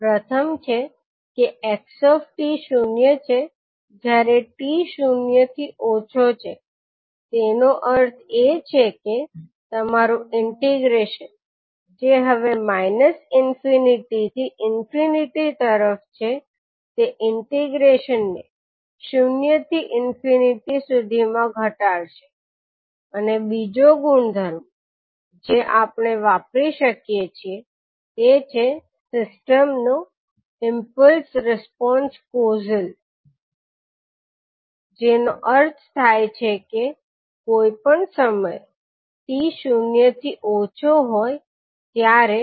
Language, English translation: Gujarati, So what are those two properties, first is that xt is equal to zero for t less than zero, it means that your integration which is now from minus infinity to infinity will reduce to integration between zero to infinity for the convolution integral and second property what we can use is that systems impulse response is causal, that means ht is equal to zero for anytime t less than zero